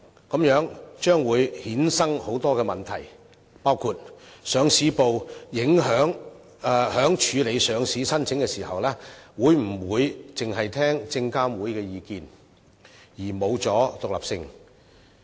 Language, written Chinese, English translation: Cantonese, 這樣將會衍生很多問題，包括上市部在處理上市申請時，會否傾向於證監會意見，而欠缺獨立性？, That will give rise to a host of issues including the question of whether the Listing Department will be inclined to listen to SFCs opinions when processing listing applications and lose its independence?